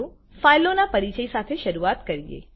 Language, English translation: Gujarati, Let us start with the introduction to files